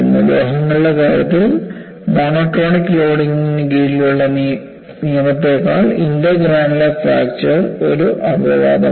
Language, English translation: Malayalam, In the case of metals, intergranular fracture is only an exception, rather than the rule under monotonic loading